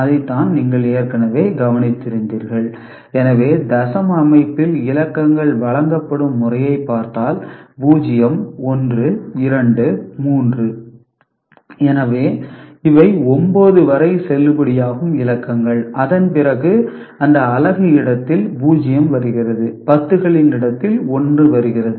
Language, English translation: Tamil, So, in decimal system if you look at the way the digits are presented, so 0, 1, 2, 3 ok, so these are the valid digits up to 9, after that comes 0 in this unit place and in the decimal place in the 10s place 1 comes into the place ok